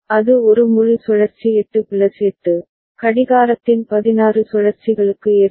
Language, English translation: Tamil, And that will, one full cycle of it will occur for 8 plus 8, 16 cycles of the clock right